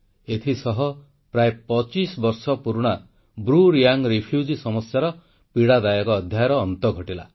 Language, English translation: Odia, With it, the closeto25yearold BruReang refugee crisis, a painful chapter, was put to an end forever and ever